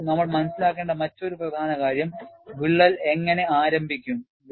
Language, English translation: Malayalam, See, another important aspect that we have to understand is, how does crack initiates